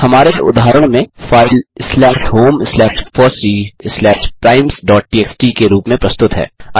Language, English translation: Hindi, The file, in our case, is presented in slash home slash fossee slash primes.txt